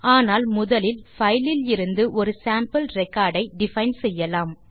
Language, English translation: Tamil, But first lets define a sample record from the file